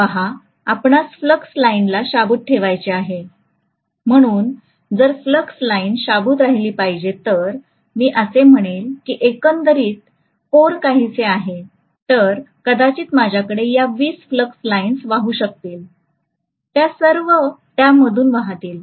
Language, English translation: Marathi, See, you want to have the flux lines intact, so if the flux lines have to be intact, if I say that the overall core is somewhat like this, I want maybe these 20 flux lines which are flowing, they will all flow through this like this